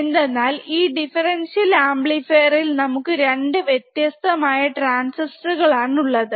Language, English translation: Malayalam, Because the differential amplifier we have a 2 different transistors in the differential amplifier